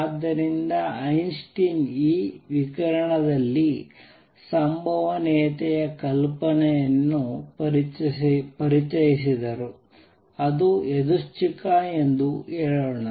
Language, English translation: Kannada, So, Einstein introduced the idea of probability in this radiation, let us say it is random